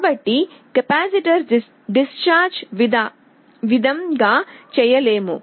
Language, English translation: Telugu, So, the capacitor cannot discharge